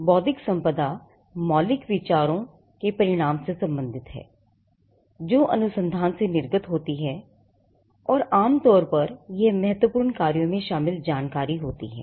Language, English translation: Hindi, Intellectual property relates to original ideas results that emanate from research, and generally it covers some kind of critical business information